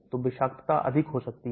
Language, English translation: Hindi, So toxicity could be higher